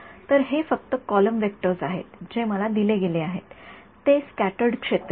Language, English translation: Marathi, So, these are just column vectors; what is given to me is the scattered field right